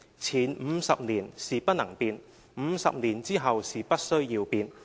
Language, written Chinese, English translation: Cantonese, 前50年是不能變 ，50 年之後是不需要變。, For the first 50 years it cannot be changed and for the second there will be no need to change it